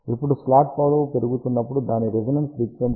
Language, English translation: Telugu, Now, as the slot length is increasing its resonance frequency decreases from 5